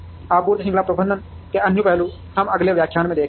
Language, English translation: Hindi, Other aspects of supply chain management, we will see in the next lecture